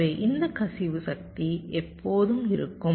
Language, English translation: Tamil, ok, so this leakage power will always be there